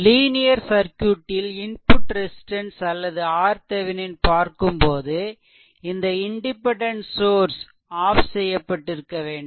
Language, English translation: Tamil, Similarly, linear circuit independent when you will find out the input resistance or R Thevenin right, then all this independent sources must be turned off right